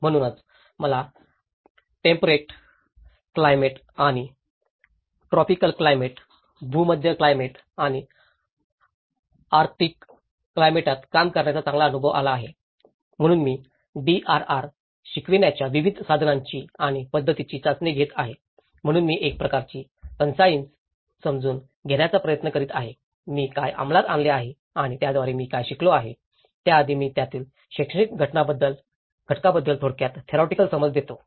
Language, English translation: Marathi, So, that has given me a good exposure of working in temperate climates and the tropical climates, Mediterranean climates and the arctic climates so, I keep testing various tools and methods in teaching this DRR so, I am trying to bring a kind of concise understanding of what I have implemented and what I have learned through that, so before that I will give you a brief theoretical understanding of the educative component of it; the education component of it